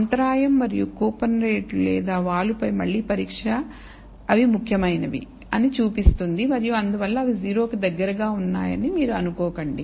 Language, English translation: Telugu, The again the test on the intercept and the coupon rate or slope shows that that they are significant and therefore, you should not assume that they are close to 0